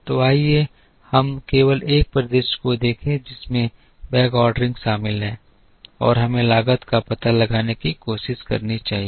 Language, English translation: Hindi, So, let us just look at one scenario that involves backordering and let us try and find out the cost